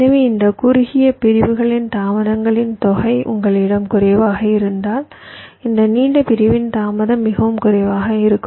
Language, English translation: Tamil, so this sum of the delays of these shorter segments will be much less then the delay of this long segment if you have a single segment